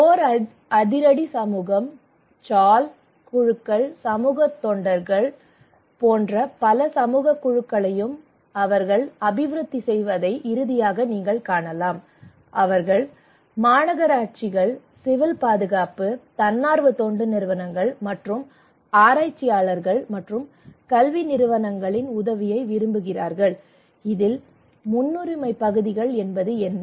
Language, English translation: Tamil, And finally you can see that they also develop many community committees like Core action community, Chawl committees, Community volunteers also they want help from Municipal Corporations, Civil Defence, NGOs and from the researchers and Academic Institutes, what are the priority areas intermitted priority and remote priority